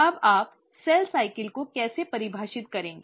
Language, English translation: Hindi, Now, how will you define cell cycle